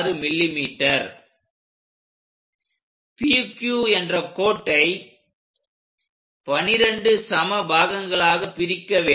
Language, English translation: Tamil, Now, divide this entire line which we call PQ line into 12 equal parts